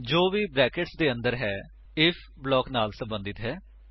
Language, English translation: Punjabi, Whatever is inside the brackets belongs to the if block